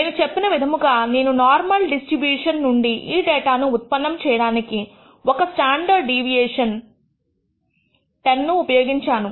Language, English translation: Telugu, As I told you that I had used a standard deviation of 10 to generate this data from a normal distribution